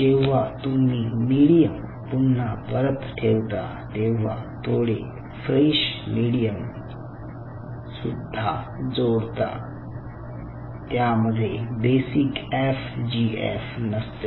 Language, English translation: Marathi, and while you are putting the medium back, you add some fresh medium on top of it which is without basic fgf